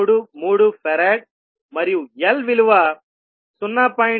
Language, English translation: Telugu, 333 farad and L is equal to 0